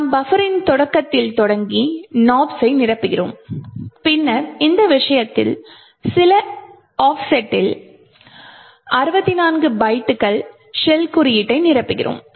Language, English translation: Tamil, We fill in Nops starting at in the beginning of the buffer and then at some offset in this case 64 bytes we fill in the shell code